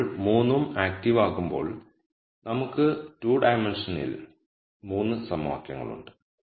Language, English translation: Malayalam, Now when all 3 are active then we have 3 equations in 2 dimensions right